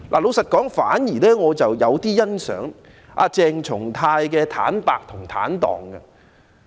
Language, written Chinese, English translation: Cantonese, 說實話，我反而有點欣賞鄭松泰議員的坦白和坦蕩。, Frankly speaking I somehow appreciate Dr CHENG Chung - tais honesty and frankness